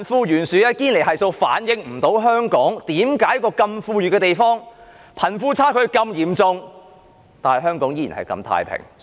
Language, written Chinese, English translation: Cantonese, 堅尼系數無法解釋，在香港這個富裕的地方，為何貧富差距如此嚴重，卻依然相對太平？, There is something the Gini coefficient cannot explain . How come in this wealthy city of Hong Kong where the wealth gap is so wide it still remains relatively peaceful?